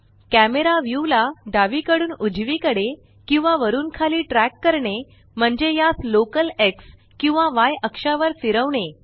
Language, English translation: Marathi, Tracking the camera view left to right or up and down involves moving it along the local X or Y axes